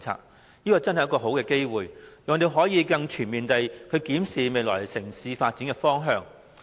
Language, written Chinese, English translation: Cantonese, 這真的是一個好機會，讓我們可以更全面地檢視未來城市發展的方向。, This is really a good chance for us to examine more comprehensively the direction of future urban development